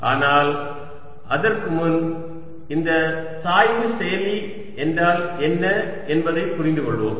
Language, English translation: Tamil, but before that let us understand what this gradient operator means